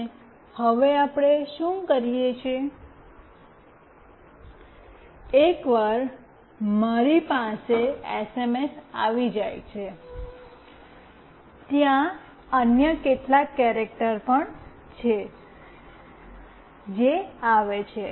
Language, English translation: Gujarati, And now what we do, once I have the SMS with me, there are certain other characters also, that comes in